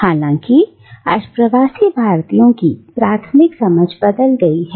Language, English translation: Hindi, However, today the primary understanding of diaspora has changed